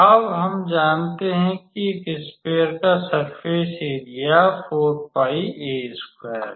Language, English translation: Hindi, Now, we know that surface area of a sphere is 4 pi a square